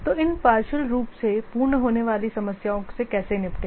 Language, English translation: Hindi, So, how to deal with these partial completion problems